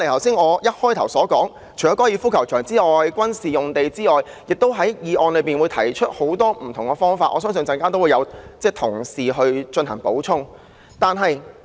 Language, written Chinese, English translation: Cantonese, 除了高爾夫球場及軍事用地外，涂謹申議員的議案亦提出很多不同的方法，相信稍後會有同事加以補充。, Apart from FGC and military sites many other means are put forth in Mr James TOs motion to which I am sure other colleagues would have something to add later on